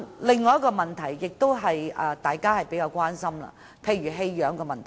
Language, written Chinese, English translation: Cantonese, 另一個大家比較關心的是棄養問題。, Another issue of concern is animal abandonment